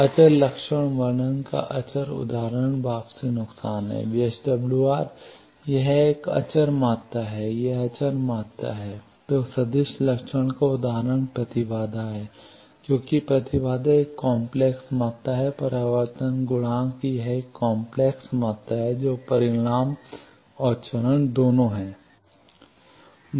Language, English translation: Hindi, Scalar example of scalar characterization is return loss, it is a scalar quantity VSWR it is scalar quantity then example of vector characterization is impedance because impedance is a complex quantity, reflection coefficient it is a complex quantity it has both magnitude and phase